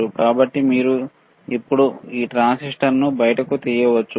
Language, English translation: Telugu, So, you can now take it out this transistor, all right